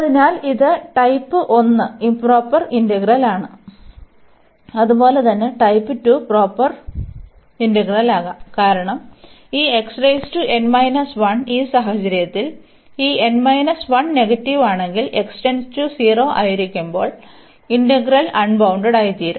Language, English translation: Malayalam, So, this is a improper in this is an improper integral of type 1 as well as it can be in proper integral of type 2, because this x power n minus 1 and if this n minus 1 is negative in that case when x approaches to 0 the integrand will become unbounded